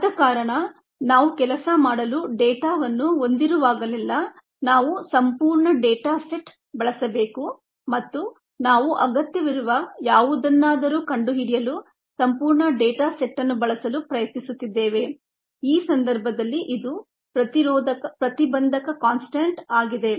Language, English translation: Kannada, that's the reason why we need to use the entire set of data whenever we have data to work with, and we are trying to use the entire set of data to find whatever is necessary here, which is the inhibition constant, to do that